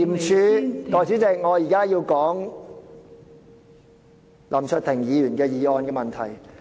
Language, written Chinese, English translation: Cantonese, 代理主席，我現在要談林卓廷議員的議案。, Deputy President now I am referring to Mr LAM Cheuk - tings motion